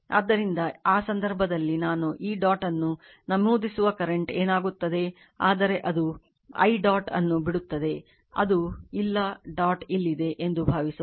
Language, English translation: Kannada, So, in that case what will happen the current I actually entering into this dot, but this I leaving the dot right this is not there this this is not there suppose dot is here you have made the dot